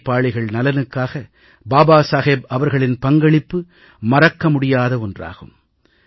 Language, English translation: Tamil, One can never forget the contribution of Babasaheb towards the welfare of the working class